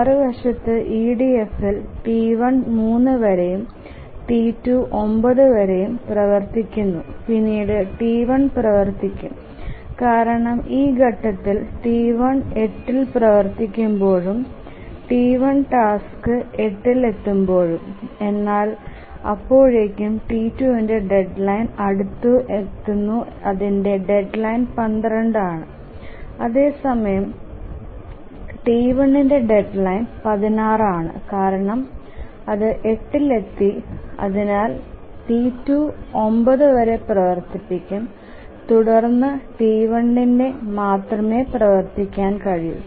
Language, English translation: Malayalam, Because at this point when T1 is running and at 8, the task T1 arrived at 8 but by that time the deadline for T1 is sorry T2 is near already so its deadline is 12 whereas the deadline for T1 is 16 because it arrived at 8 and therefore T2 will run here till 9 and then only T1 can run